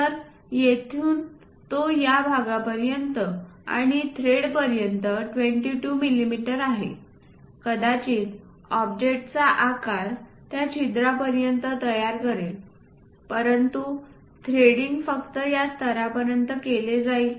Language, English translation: Marathi, So, from here it is 22 mm up to this portion and thread perhaps the object size is up to that hole might be created up to this level, but threading is done up to this level only